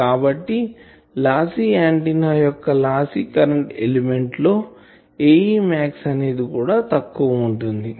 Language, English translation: Telugu, So, for a lossy antenna lossy current element, the A e max will be less also